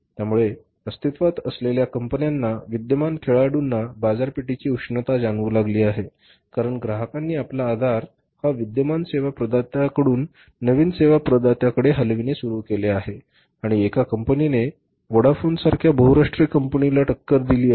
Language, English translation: Marathi, So, these companies, existing companies, existing players have started feeling the heat of the market because customers have started shifting their base from the existing service provider to the new service provider and one single company has forced the multinational company like Bodeophone